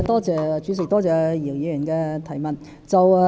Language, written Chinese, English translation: Cantonese, 主席，多謝姚議員的質詢。, President I thank Mr YIU for his question